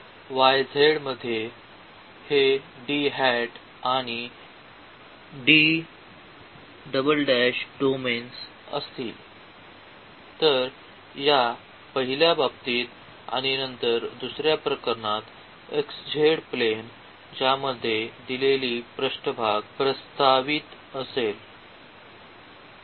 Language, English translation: Marathi, So, this D hat and D double hat are the domains in the y z; so, in this first case and then in the second case in xz planes in which the given surface is projected